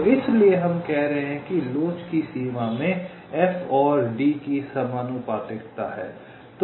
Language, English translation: Hindi, so that's why we are saying that within limits of elasticity the proportionality of f and d holds